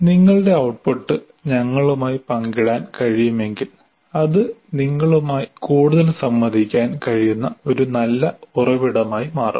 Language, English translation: Malayalam, And if you can share your output with the, with us, it will become a very good source based on which we can interact with you more